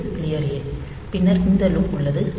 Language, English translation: Tamil, So, this clear a, then this loop body